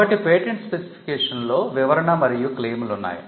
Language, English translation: Telugu, So, the patent specification includes the description and the claims